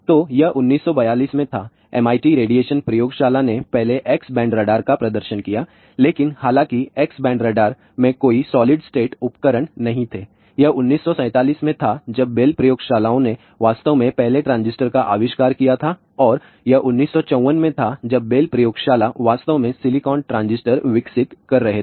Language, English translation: Hindi, So, it was in 1942, MIT radiation laboratory first demonstrated X band radar, but; however, that X band radar did not contain any solid state devices, it was in 1947 when bell labs actually invented the first transistor and it was in 1954 when bell labs actually develop the working silicon transistor